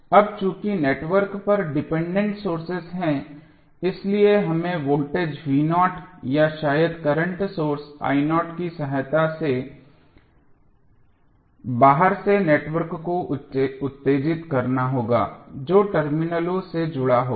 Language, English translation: Hindi, Now, since the network has dependent sources we have to excite the network from outside with the help of either voltage v naught or maybe the current source i naught which would be connected to the terminals